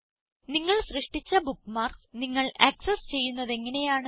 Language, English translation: Malayalam, How can you access the bookmarks you create